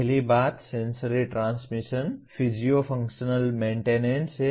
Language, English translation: Hindi, First thing is sensory transmission, physio functional maintenance